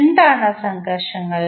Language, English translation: Malayalam, What are those frictions